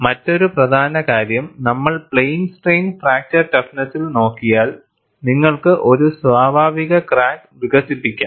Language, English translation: Malayalam, And another important aspect, we had looked at in plane strain fracture toughness was, you have to develop a natural crack; only with a natural crack you can conduct the testing